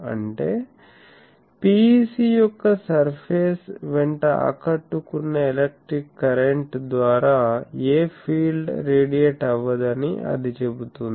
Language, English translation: Telugu, That means, it says that no field gets radiated by an electric current impressed along the surface of a PEC, how